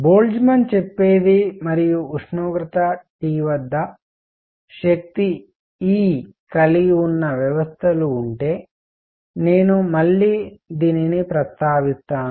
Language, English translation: Telugu, What Boltzmann says and I will come back to this again that if there are systems that have energy E at temperature T